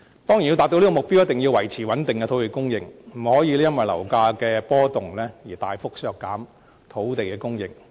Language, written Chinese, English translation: Cantonese, 當然，要達到這個目標，一定要維持穩定的土地供應，不能因為樓價波動而大幅削減土地供應。, In order to achieve the target it would of course be necessary for us to maintain a stable supply of land and avoid a drastic cut in land supply due to fluctuations in property prices